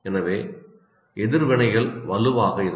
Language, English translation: Tamil, So the reactions can be fairly strong